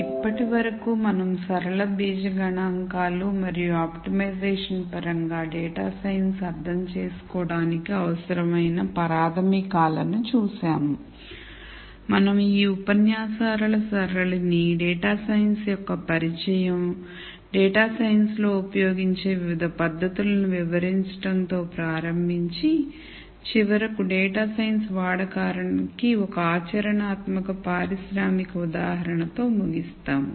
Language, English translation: Telugu, Now, that we have looked at the fundamentals required to understand data science in terms of linear algebra statistics and optimization, we are going to start series of lectures where we introduce data science, describe different techniques that are used in data science and finally, end with one practical industrial example of use of data science